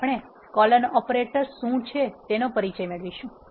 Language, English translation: Gujarati, Now, we will introduce what is called as a colon operator